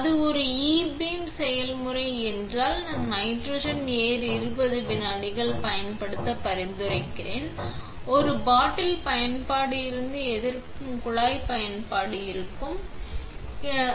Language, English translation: Tamil, If it is a ebeam process I would recommend to use twenty seconds of nitrogen air, when taking resist from a bottle use to disposable pipette